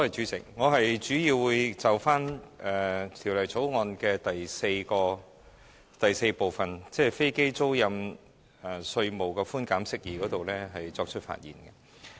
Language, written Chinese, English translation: Cantonese, 主席，我主要會就《2017年稅務條例草案》的第4部分，即"飛機租賃稅務寬減：釋義"發言。, Chairman I will mainly speak on clause 4 of the Inland Revenue Amendment No . 2 Bill 2017 the Bill which relates to Aircraft leasing tax concessions interpretation